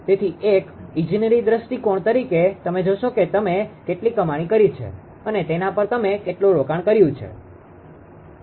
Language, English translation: Gujarati, So, as an engineering point of view you will see that how much you have invested at how much you have earned right